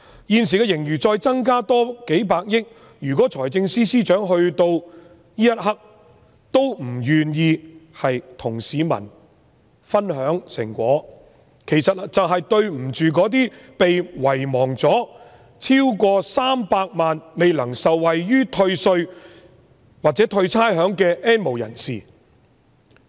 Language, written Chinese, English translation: Cantonese, 現時盈餘再增加數百億元，如果財政司司長此刻仍不願意與市民分享成果，就是愧對300萬被遺忘了、未能受惠於退稅或退差餉的 "N 無人士"。, At present the surplus has increased by several ten billion dollars . If the Financial Secretary is still unwilling to share the fruit with the people he cannot live up to the expectation of the N have - nots who have been forgotten and who cannot benefit from tax rebate or rates waiver